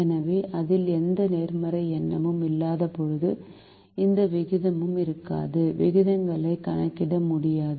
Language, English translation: Tamil, so when it does not have any positive number, there will not be any ratio